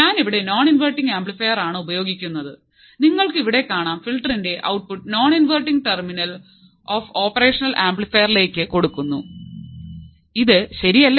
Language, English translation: Malayalam, I am using a non inverting amplifier as you can see the output of the filter is fed to the non inverting terminal of the operational amplifier